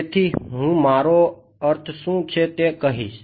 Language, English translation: Gujarati, So, I will tell you what I mean